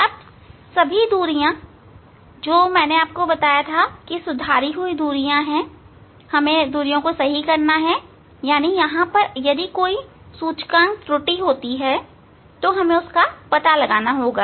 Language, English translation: Hindi, Now, corrected distance as I told that corrected distance means if any index error is there